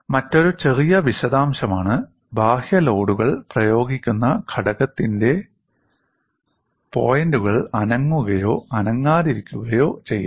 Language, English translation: Malayalam, And another minor detail is the points of the component at which external loads are applied may or may not move